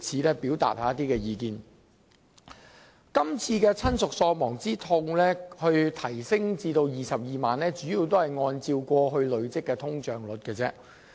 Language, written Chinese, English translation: Cantonese, 當局這次將親屬喪亡之痛賠償款額提高至 220,000 元，其增幅主要是按累積通脹率計算。, Concerning the authorities current proposal of increasing the bereavement sum to 220,000 the magnitude of increase is based on the cumulative inflation